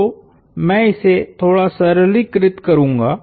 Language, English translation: Hindi, So, I will simplify this slightly